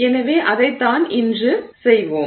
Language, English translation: Tamil, So, that's what we will do today